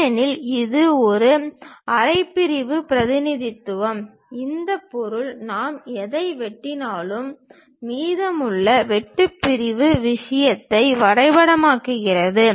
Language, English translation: Tamil, Because, it is a half sectional representation, this object whatever we are slicing it maps the remaining cut sectional thing